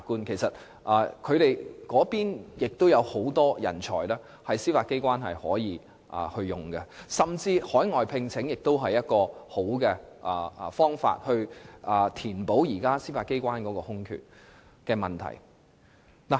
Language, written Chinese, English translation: Cantonese, 在事務律師中亦有很多人才，司法機關可任用，而海外聘請也是不錯的方法，可以填補現時司法機關的空缺。, There are plenty of talented solicitors available for appointment by the Judiciary and overseas recruitment is also a good alternative for filling the existing vacancies in the Judiciary